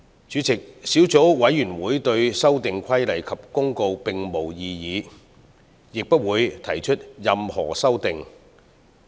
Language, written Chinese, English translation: Cantonese, 主席，小組委員會對兩項附屬法例並無異議，亦不會提出任何修訂。, President the Subcommittee has no objection to these two items of subsidiary legislation and will not propose any amendment